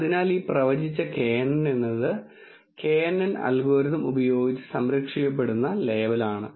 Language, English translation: Malayalam, So, this predicted knn is the labels that is being protected using the knn algorithm